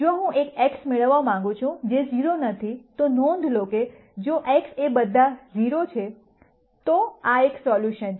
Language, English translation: Gujarati, If I want to get an x which is not all 0, notice that if x is all 0, this is a solution right